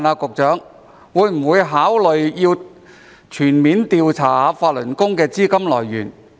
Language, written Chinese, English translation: Cantonese, 局長會否考慮全面調查法輪功的資金來源？, Will the Secretary consider conducting a full investigation of the sources of funding for Falun Gong?